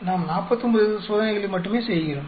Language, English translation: Tamil, We are only doing 49 experiments